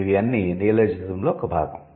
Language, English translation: Telugu, So, that's a part of neologism